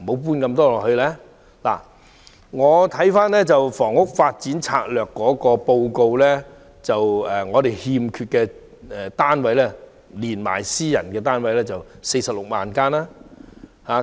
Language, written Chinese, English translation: Cantonese, 根據《長遠房屋策略》，我們欠缺的住宅單位數目，包括私人住宅，合共46萬間。, According to the Long Term Housing Strategy we are short of 460 000 residential units including private housing units